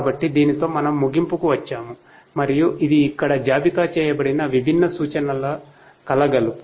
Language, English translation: Telugu, So, with this we come to an end and this is the assortment of different references that is listed for here